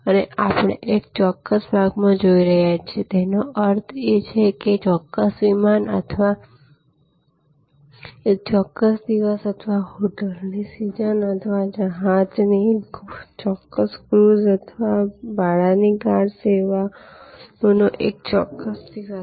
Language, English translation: Gujarati, And we are looking in to one particular episode; that means one particular flight or one particular day or season of a hotel or one particular cruise of a ship or one particular day of rental car services